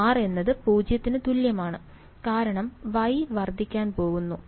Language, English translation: Malayalam, r is equal to 0 because that is the point where Y is going to blow up ok